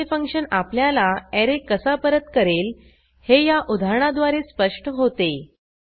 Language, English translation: Marathi, This illustration demonstrates how we can return an array from a function